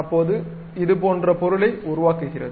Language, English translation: Tamil, It constructs such kind of object